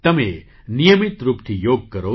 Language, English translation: Gujarati, You should do Yoga regularly